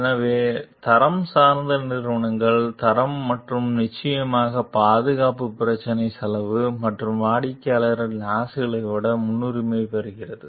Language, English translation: Tamil, So, the in quality oriented companies, the quality and of course the safety issue takes priority over the cost and the customer s desires